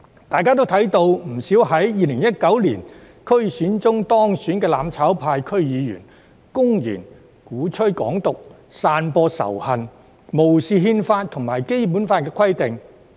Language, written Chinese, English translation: Cantonese, 大家也看到，不少在2019年區議會選舉中當選的"攬炒派"區議員，公然鼓吹"港獨"、散播仇恨，並無視憲法與《基本法》的規定。, As all of you can see many DC members from the mutual destruction camp elected in the 2019 DC election have blatantly advocated Hong Kong independence spread hatred and disregarded the provisions of the Constitution and the Basic Law